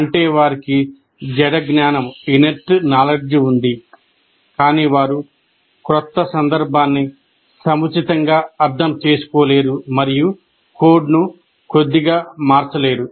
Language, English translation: Telugu, So that is the, that means they have inert knowledge, but they are not able to appropriately kind of change the, understand the new context and slightly alter the code